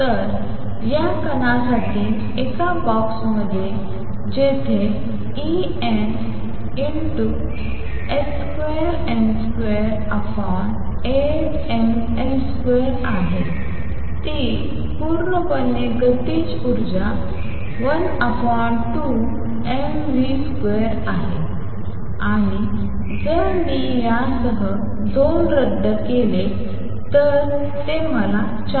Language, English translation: Marathi, So, for this particle in a box where E n is h square n square over 8 m L square is purely the kinetic energy half m v square and if I cancels 2 with this it gives me 4